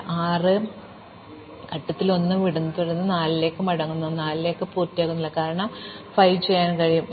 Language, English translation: Malayalam, So, now I leave 1 at step 6, then I come back to 4, but I am not finished with 4, because I can do 5